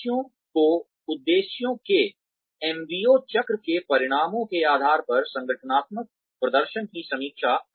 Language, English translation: Hindi, Review of organizational performance, based on outcomes of the MBO cycle of objectives